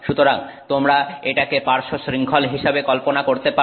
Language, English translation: Bengali, So, you can sort of think of this as the side chain